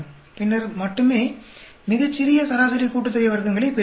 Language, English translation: Tamil, Then only we get a very small mean sum of squares